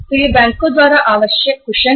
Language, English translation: Hindi, So this is the cushion required by the banks